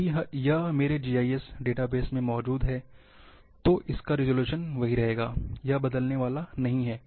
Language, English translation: Hindi, If it is residing in my GIS database the resolution will remain same, it is not going to change